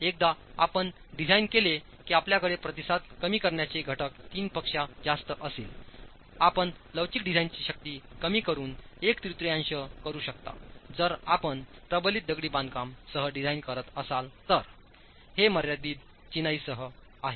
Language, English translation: Marathi, Once you design you have response reduction factors as high as 3, you can reduce the elastic design force to one third if you are designing with reinforced masonry and so it is with confined masonry